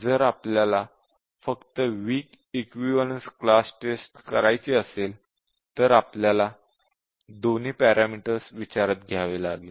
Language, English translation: Marathi, If we want to do a strong equivalence class testing we will have to consider all of these